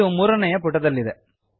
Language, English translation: Kannada, So this is in page 3